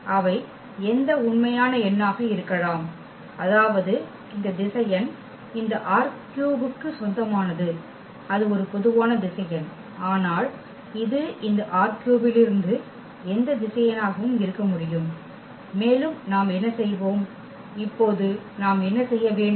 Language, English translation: Tamil, They can be any real number meaning that this vector belongs to this R 3 and it’s a general vector yet can it can be any vector from this R 3 and what we will, what we are supposed to do now